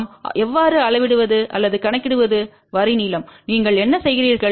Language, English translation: Tamil, How do we measure or calculate the line length